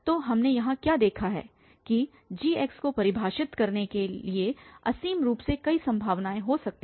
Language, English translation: Hindi, So, what we have seen here that there could be infinitely many possibilities for defining gx